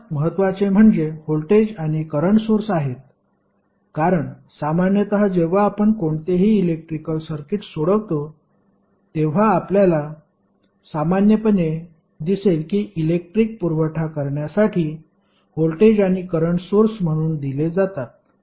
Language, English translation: Marathi, The most important are voltage and current sources because generally when you will solve any electrical circuit you will generally see that voltage and current are given as a source for the supply of power